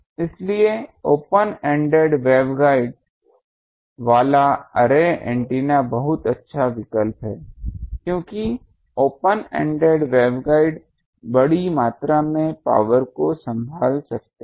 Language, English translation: Hindi, So array antennas with open ended waveguide is the very good choice because the open ended waveguides can handle sizeable amount of power